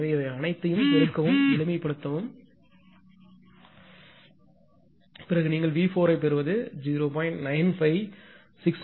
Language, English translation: Tamil, So, multiply and simplify all this things then what you will get V 4 is equal to 0